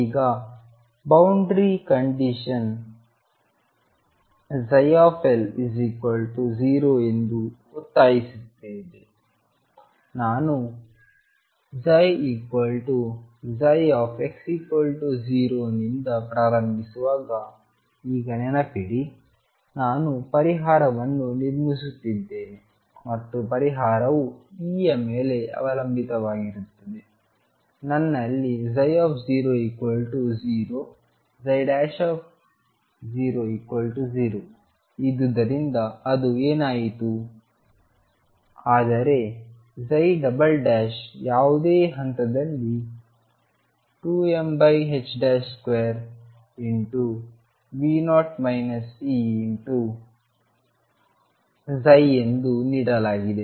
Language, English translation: Kannada, Now boundary condition demands that psi L be equal to 0, remember now when I am starting from psi equal to psi at x equals 0, I am building up a solution and the solution depends on E; what is that happened because I had a psi 0 equal to 0 psi prime equal to 0, but I have psi double prime at any point which is given as 2 m over h cross square V 0 minus E psi